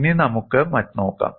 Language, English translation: Malayalam, Now, let us look at another case